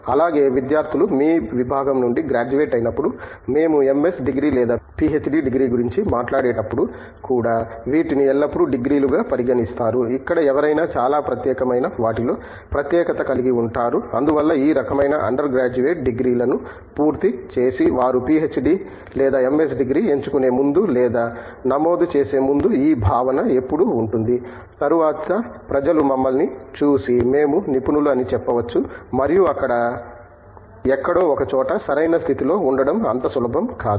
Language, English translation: Telugu, Also, when students graduate from your department, even when we talk of MS degree or a PhD degree these are always treated as degrees where somebody as specialized in something very specific and so there is always this feeling amongst people who complete you know under graduate the kind of degrees before they pick up or enroll for a PhD or a MS degree is always this concern that later people may look at us and say we are specialist and there is not an easy fit for us in a position somewhere